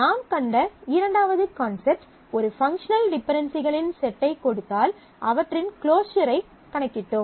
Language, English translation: Tamil, This is a second concept we have seen how to give the set of functional dependencies, how to compute the closure of the functional dependencies